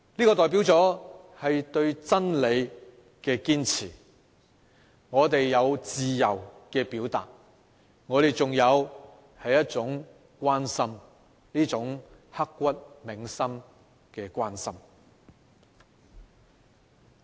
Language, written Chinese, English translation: Cantonese, 這代表了對真理的堅持，我們有自由的表達，我們仍有一份關心，一份刻骨銘心的關心。, This demonstrates the perseverance in upholding the truth and our freedom of expression and we are still attached to it an attachment growing out of what is so deeply engraved in our mind